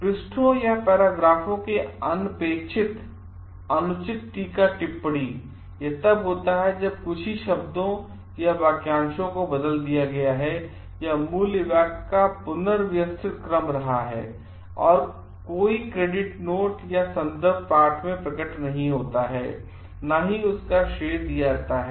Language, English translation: Hindi, Uncredited improper paraphrasing of pages or paragraphs, it occurs when only a few words or phrases have been changed or the order of the original sentence has been rearranged and no credit note or reference appears in the text, credited verbatim copying of a major portion of paper without clear delineation